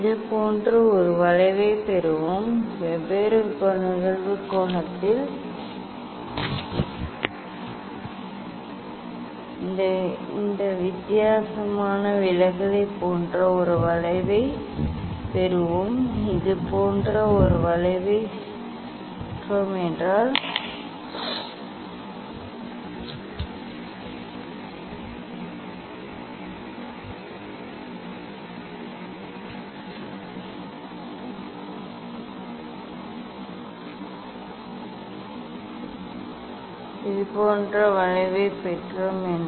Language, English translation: Tamil, we will get a curve like this; we will get a curve like this different deviation at different incident angle we will plot and get a curve like this and what is the aim of this experiment